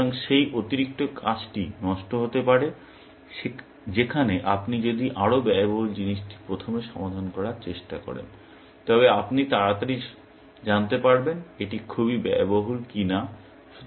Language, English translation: Bengali, So, that extra work could be waste, whereas, if you try to solve the more expensive thing first, then you will get to know early whether, it is too expensive or not